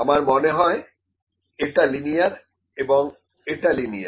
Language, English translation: Bengali, I think this is linear and this is linear